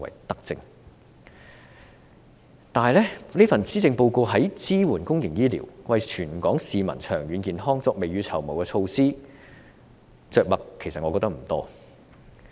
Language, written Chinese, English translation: Cantonese, 但是，我覺得此份施政報告在支援公營醫療、為全港市民長遠健康未雨綢繆的措施方面着墨不多。, However I find this Policy Address sketchy on the support for public health care services and the precautionary measures for the long - term health of Hong Kong people at large